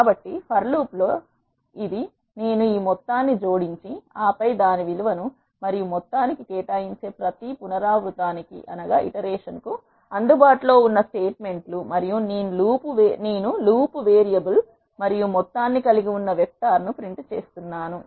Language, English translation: Telugu, So, in the for loop these are the statements that are available for every iteration I am adding this sum and then iter value and assigning it to the sum, and I am printing the vector which is containing the loop variable and sum